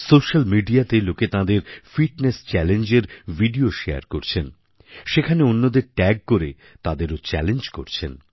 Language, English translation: Bengali, People are sharing videos of Fitness Challenge on social media; they are tagging each other to spread the challenge